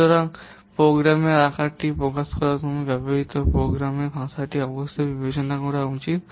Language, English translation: Bengali, Thus, while expressing the program size, the programming language used must be taken into consideration